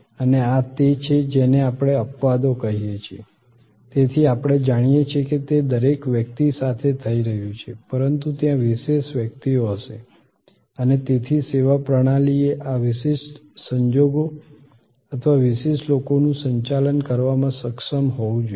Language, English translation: Gujarati, And these are what we call exceptions, so we know that, they are happening with every person, but there will be special persons and therefore, services system should able to handle this special circumstances or special people